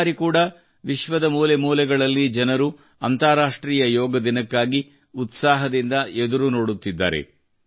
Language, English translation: Kannada, This time too, people in every nook and corner of the world are eagerly waiting for the International Day of Yoga